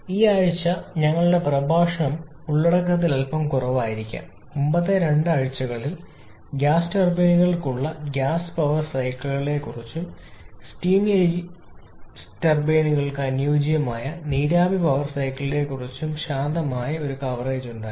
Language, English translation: Malayalam, And I would also like to add that this week our lecture slightly listen content, of course previous to had a quiet extensive coverage of the gas power cycles for gas turbines and also the ideal vapour power cycle for the steam turbines